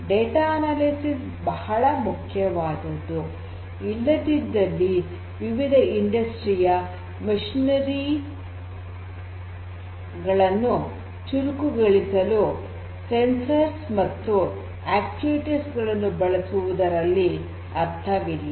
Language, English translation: Kannada, But, the analysis of the data is very important because otherwise there is no point in installing different sensors and actuators to make these different industrial machinery smarter